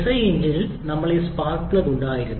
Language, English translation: Malayalam, In case of SI engine, we had this spark plug